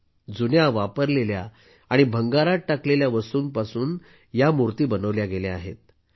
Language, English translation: Marathi, That means these statues have been made from used items that have been thrown away as scrap